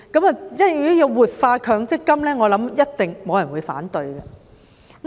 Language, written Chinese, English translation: Cantonese, 如果要活化強積金，我相信一定沒有人會反對。, There is this word in the term revitalizing . I believe no one will oppose efforts at revitalizing MPF